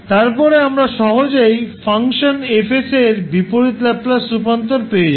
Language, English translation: Bengali, Then you can easily find out the inverse Laplace transform